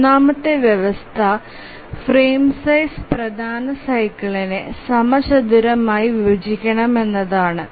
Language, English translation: Malayalam, The third condition is that the frame size must squarely divide the major cycle